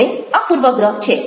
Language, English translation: Gujarati, now, this is a bias